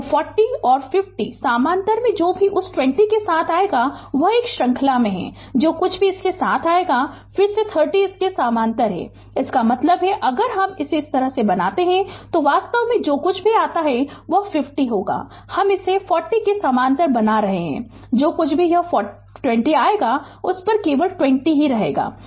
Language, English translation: Hindi, So, 40 and 50 in parallel right whatever it will come with that 20 ohm is in series whatever it will come with that again 30 are in parallel to this; that means, if i make it like this, it will be actually whatever it comes 50 i making like this parallel to 40 right whatever it is plus this 20 will come making on it only plus 20 will come